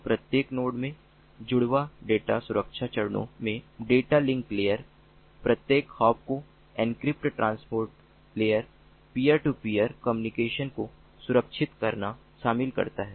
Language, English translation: Hindi, so twin data security steps in each node include data link layer encrypting each hop transport layer securing peer to peer communication